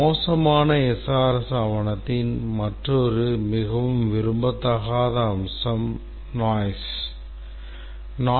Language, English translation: Tamil, Another very undesirable aspect of a bad SRS document is noise